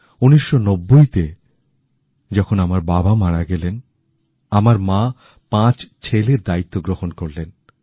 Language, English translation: Bengali, In 1990, when my father expired, the responsibility to raise five sons fell on her shoulders